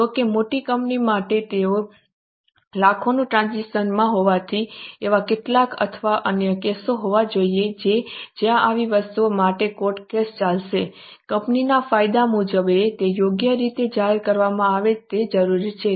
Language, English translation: Gujarati, However, for big companies, since they are into lakhs of transactions, there are bound to be some or other cases where there would be court cases or such things, they are required to be properly disclosed as for company law